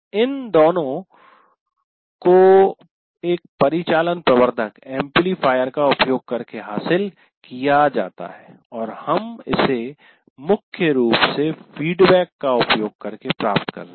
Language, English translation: Hindi, These two are achieved by using an operational amplifier and we are achieving that mainly using the feedback